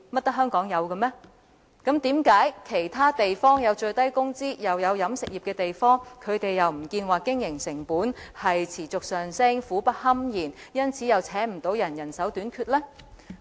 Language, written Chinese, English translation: Cantonese, 為甚麼其他設有最低工資又有飲食業的地方，沒有表示他們的經營成本持續上升，苦不堪言，因為難請人而人手短缺呢？, Why have other places with minimum wage and a catering industry not expressed that they are facing problems of ever - increasing operating costs recruitment difficulty and a manpower shortage and that they are in deep waters?